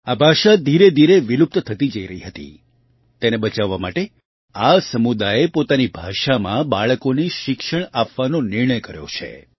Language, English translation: Gujarati, This language was gradually becoming extinct; to save it, this community has decided to educate children in their own language